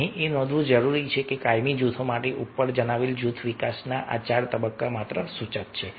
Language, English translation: Gujarati, here it may be noted that this four stage of group development mentioned above for permanent groups are merely suggestive